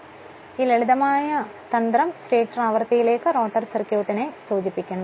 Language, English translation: Malayalam, So, this simple trick refers to the rotor circuit to the stator frequency